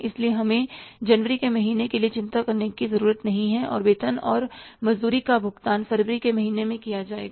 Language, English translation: Hindi, So, we need not to worry for the month of January, the payment of the salary and wages will be done in the month of February